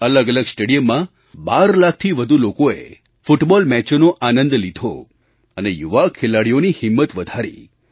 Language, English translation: Gujarati, More than 12 lakh enthusiasts enjoyed the romance of Football matches in various stadia across the country and boosted the morale of the young players